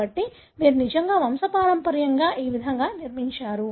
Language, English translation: Telugu, So, you really build the pedigree this way